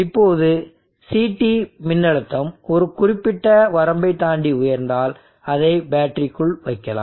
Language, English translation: Tamil, Now once the CT voltage goes high beyond a particular set specified limit and then we would like to put it into the battery